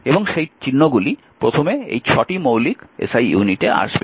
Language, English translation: Bengali, So, this is the stat 6 say your basic SI units